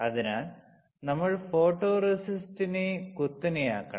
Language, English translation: Malayalam, So, we have to steep the photoresist, all right